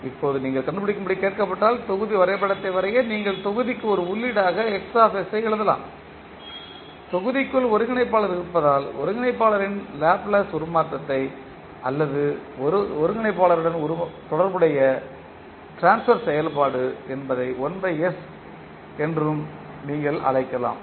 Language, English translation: Tamil, Now, when you are asked to find, to draw the block diagram you can simply write Xs as an input to the block, within the block you will have integrator the Laplace transform of the integrator or you can say the transfer function related to integrator that will be 1 by s into Ys